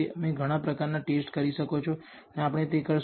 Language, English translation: Gujarati, You can do many kinds of test and we will do this